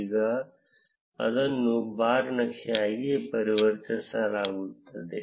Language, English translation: Kannada, Now it gets converted into a bar chart